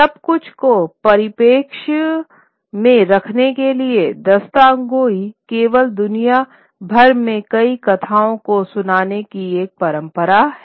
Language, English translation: Hindi, Now just to put everything into perspective, Dasthan Gaui is only one of the many, many storytelling traditions across the world